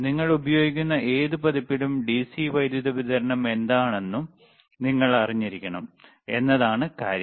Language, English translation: Malayalam, The the point is that, any version you use, you should know what is the DC power supply, all right